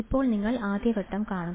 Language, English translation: Malayalam, Now, you see just stage one